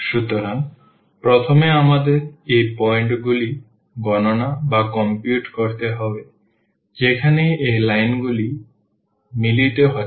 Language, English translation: Bengali, So, first we need to compute these points where these lines are meeting